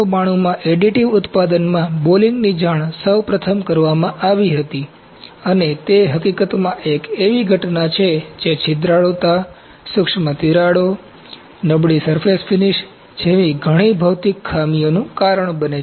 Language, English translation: Gujarati, Balling was first reported in additive manufacturing 1992 and it is in fact, a phenomenon that causes several physical defects such as porosity, micro cracks, poor surface finish